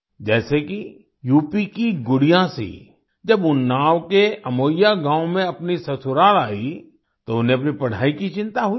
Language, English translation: Hindi, For example, when Gudiya Singh of UP came to her inlaws' house in Amoiya village of Unnao, she was worried about her studies